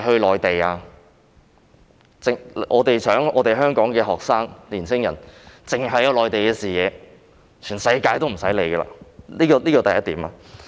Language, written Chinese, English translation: Cantonese, 難道我們希望香港的學生和年輕人只擁有內地的視野，而無須理會世界其他地方？, Do we expect Hong Kong students and young people to embrace merely the vision of the Mainland without having to pay heed of other places of the world?